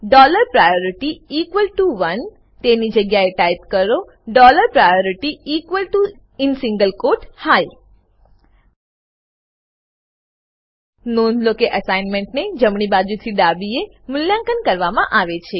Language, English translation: Gujarati, Instead of dollar priority equal to one type dollar priority equal to in single quote high Please note that the assignments are evaluated from right to left